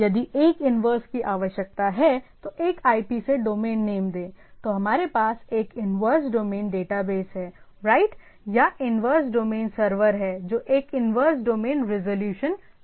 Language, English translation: Hindi, If there is a inverse is required, name to a IP to domain, then we have a inverse domain data base right, or inverse domain server which is which does a inverse domain resolution